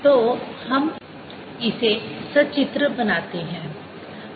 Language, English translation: Hindi, so let's make this pictorially